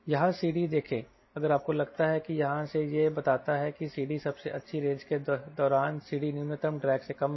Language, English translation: Hindi, if you think from here, it tells c d during best range is less than c d minimum drag